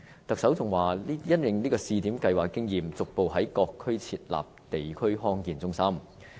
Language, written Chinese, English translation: Cantonese, 特首更表示，會因應試點計劃的經驗，逐步在各區設立地區康健中心。, The Chief Executive even said that with the experience gained from the pilot scheme the Government would progressively set up district health centres in other districts